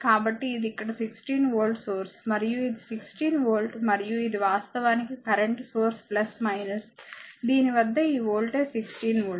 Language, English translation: Telugu, So, this is 16 volt source here and this is your sorry this is 16 volt and this is actually current source plus minus this voltage across this is 16 volt